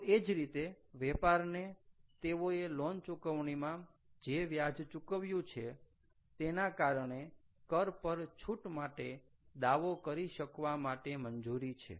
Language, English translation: Gujarati, so similarly, here also, the businesses are allowed to claim a tax rebate because of the interest they play on loan payments